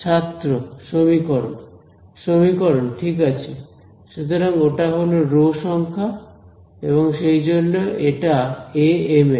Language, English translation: Bengali, Equation right so that is the row number that is why it is amn right